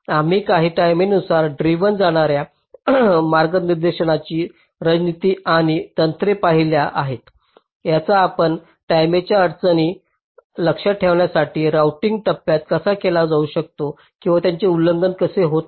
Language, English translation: Marathi, we have looked at some of the timing driven routing strategies and techniques that can be used in the routing phase to keep the timing constraints in check or they are not getting violated